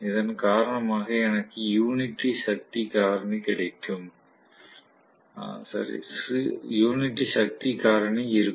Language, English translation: Tamil, Due to which I will have unity power factor